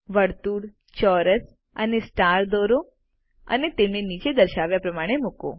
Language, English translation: Gujarati, Draw a circle a square and a star and place them as showm below